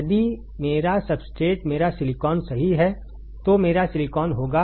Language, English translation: Hindi, If my substrate that is my silicon right my silicon